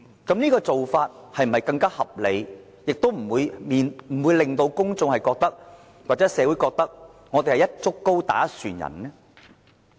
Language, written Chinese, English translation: Cantonese, 這種做法是否更合理，不會令到公眾或社會覺得我們是"一竹篙打一船人"呢？, Is this practice more reasonable? . It will not create an image among the public or society that we are labelling them indiscriminately